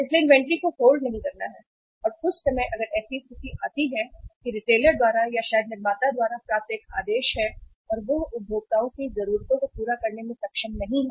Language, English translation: Hindi, So uh not holding the inventory and sometime if there is uh a situation comes up that there is a order uh received by the retailer or maybe by the manufacturer and he is not able to serve the needs of the consumers